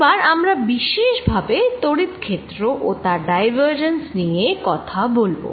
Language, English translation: Bengali, we are now going to specialize to electric field and talk about the divergence of an electric field